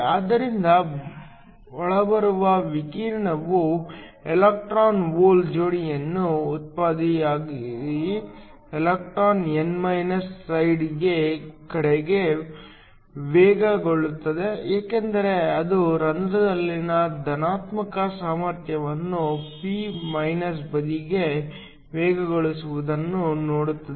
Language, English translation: Kannada, So, When the incoming radiation generates an electron hole pair, the electron is accelerated towards the n side because it sees the positive potential in a hole is accelerated towards the p side